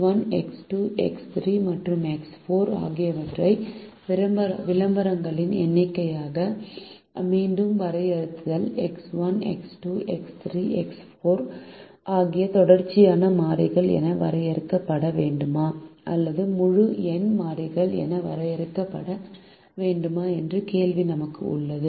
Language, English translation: Tamil, once again, since we have define x one, x two, x three and x four as the number of advertisements, we have this question whether x one, x two, x three, x four should be defined as continues variables or should be defined as integer variables